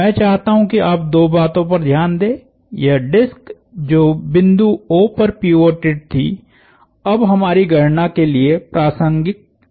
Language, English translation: Hindi, I want you to notice two things; this disc which was pivoted at the point O is no longer relevant to our calculation